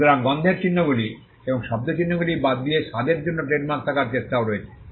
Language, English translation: Bengali, So, apart from the smell marks and the sound marks, there is also an attempt to have trademarks for taste